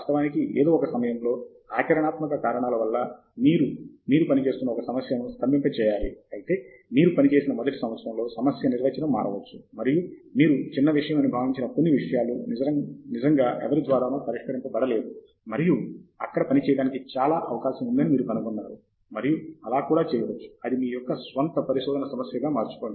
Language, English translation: Telugu, Of course at some point in time, for practical reasons, you have to freeze a problem that you are working on, but however, in the first year of your working, the problem definition can change, and some things that you thought were trivial have really not been addressed by anyone, and you find that there is a lot to work in there, and that can become your own problem of research and so on